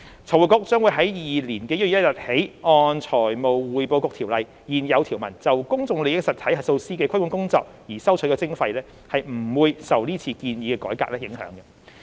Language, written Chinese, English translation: Cantonese, 財匯局將於2022年1月1日起按《財務匯報局條例》現有條文就公眾利益實體核數師的規管工作而收取的徵費，不會受是次建議的改革影響。, FRC will start collecting levies on 1 January 2022 for its regulation of PIE auditors in accordance with the existing provisions of the Financial Reporting Council Ordinance . The arrangement will not be affected by the proposed reform